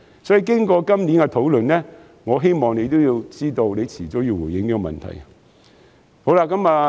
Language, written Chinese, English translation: Cantonese, 所以，經過今年的討論，我希望司長也知道早晚要回應這個問題。, Therefore after this years discussion I hope FS will realize that this is the question he will have to respond to sooner or later